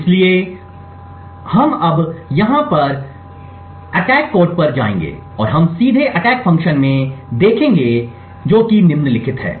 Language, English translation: Hindi, So, we will now go to the attack code it is over here and we will just jump directly to the attack function and what we see is the following